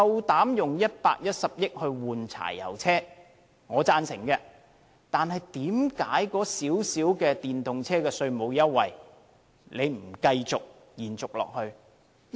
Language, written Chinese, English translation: Cantonese, 當局以110億元更換柴油車，我是贊成的，但為何花費不多的電動車稅務優惠卻不延續下去？, While I support the Governments measure of spending 11 billion to replace the diesel vehicles I fail to understand why the tax waiver for electric cars which does not cost much has to be aborted?